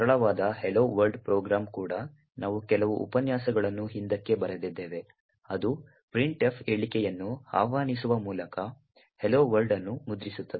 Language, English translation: Kannada, Even the simple hello world program that we have written a few lectures back which essentially just prints hello world by invoking the printf statement